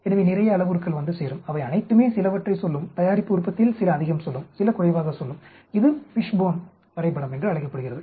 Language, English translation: Tamil, So on lot of parameters will come into and all of them will have some say in it some of them will have more say some of them will have less say in the product yield this is called the Fishbone diagram